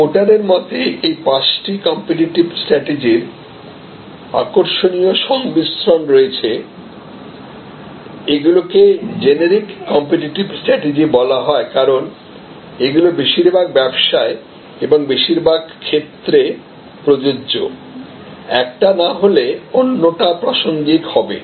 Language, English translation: Bengali, According to Porter, there are these interesting combinations or five competitive strategies, these are called the generic competitive strategies, because they are applicable in most businesses and in most situations, one or the other will be relevant